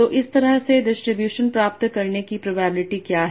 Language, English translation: Hindi, So what is the probability of getting a distribution like this